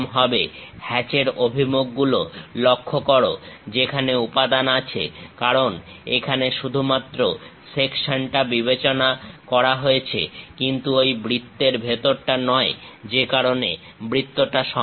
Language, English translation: Bengali, Note the hatch directions where material is present; because section is considered only here, but not inside of that circle, that is a reason circle is complete